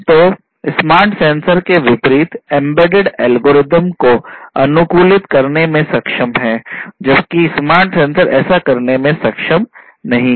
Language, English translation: Hindi, So, they are capable of customizing embedded algorithms on the fly unlike the smart sensors which were not able to do so